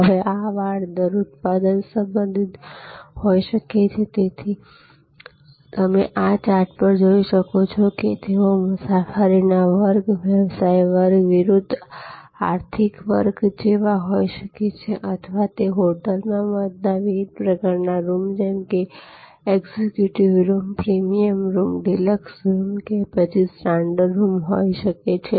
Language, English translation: Gujarati, Now, this rate fences can be product related, so as you see on this chart that they can be like class of travel, business class versus economic class or it could be the type of room executing room, premier room, deluxe room, standard room etc in a hotel or it could be seat location in a theater